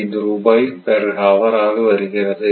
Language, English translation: Tamil, 685 per hour it is coming